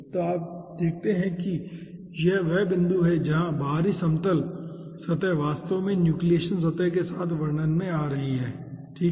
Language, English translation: Hindi, so you see, this is the point ah, where the outer plane surface is actually coming into picture with the nucleation surface, okay, nucleation side